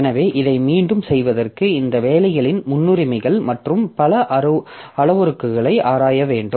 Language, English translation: Tamil, So, for doing this again I have to look into the priorities of these jobs and many other parameters